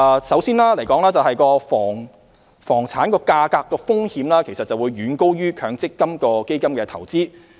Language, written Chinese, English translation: Cantonese, 首先，房產價格的風險遠高於強積金基金投資。, First investment in real estate is way riskier than investment in MPF funds